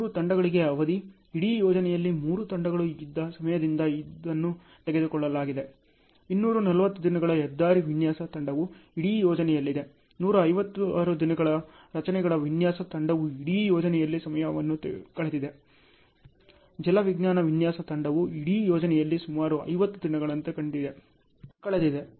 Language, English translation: Kannada, Duration for the three teams; this is taken from the time the three teams were on the whole project; 240 days highway design team was in the whole project, 156 day structures design team has spent the time in the whole project, hydrology design team has spent almost like 50 days in the whole project